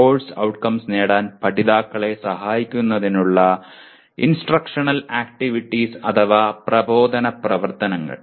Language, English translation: Malayalam, And instructional activities to facilitate the learners attaining the course outcome